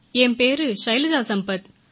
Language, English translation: Tamil, I am Shailaja Sampath speaking